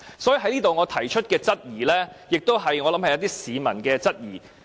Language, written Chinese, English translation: Cantonese, 所以，我在這裏提出的質疑，亦是一些市民的質疑。, Hence I want to raise my queries here and my queries are shared by the public